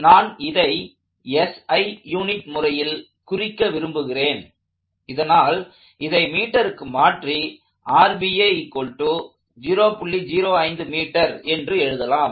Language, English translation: Tamil, I like to deal in SI units, so I am going to convert that to meters